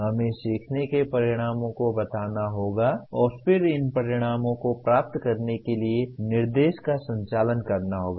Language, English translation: Hindi, We have to state the learning outcomes and then conduct the instruction to attain these outcomes